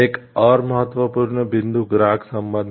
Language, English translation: Hindi, Another important point is customer relations